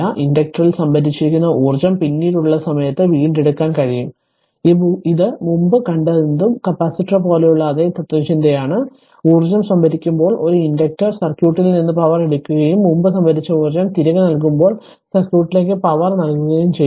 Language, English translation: Malayalam, The energy stored in the inductor can be retrieved at a later time it is same philosophy like capacitor whatever we have just seen before; the inductor takes power from the circuit when storing energy and delivers power to the circuit when returning your previously stored energy right